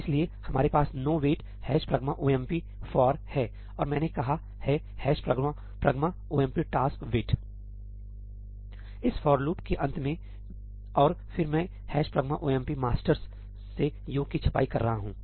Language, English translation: Hindi, So, here we have this no wait with hash pragma omp for and I have said hash pragma omp tasks wait at the end of this for loop right and then I am printing sum from hash pragma omp masters